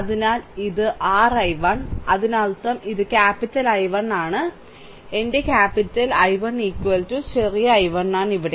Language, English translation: Malayalam, So, this is your i 1, right; that means, and this is capital I 1 so; that means, my capital I 1 is equal to small i 1 here, right